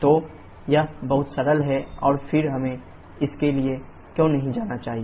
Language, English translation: Hindi, So, it is very simple and then why should not go we for this